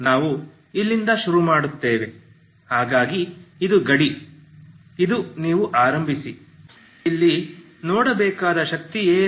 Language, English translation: Kannada, So we will start from here so this is the boundary this is the you start with so what is the energy here we have to see, okay